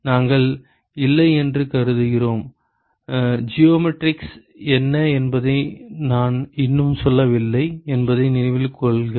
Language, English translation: Tamil, We are assuming we have not; remember that I have not told you what the geometry is yet